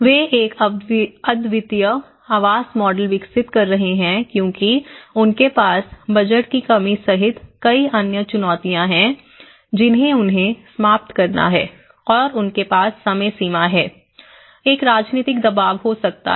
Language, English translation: Hindi, They end up developing a unique housing model because they have many other challenges including the budget constraints they have to finish and they have the time limitation, there could be a political pressure